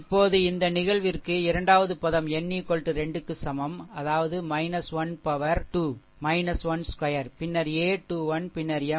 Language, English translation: Tamil, Now in this case second term n is equal to 2; that means, it is minus 1 to the power 3, then a 2 1 then M 2 1, right